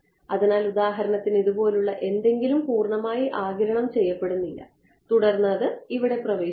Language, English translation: Malayalam, So, for example, something like this entered not fully absorbed and then it enters over here ok